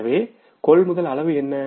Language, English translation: Tamil, So how much is the amount of purchases